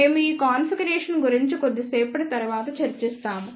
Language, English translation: Telugu, We will discuss about this configuration little later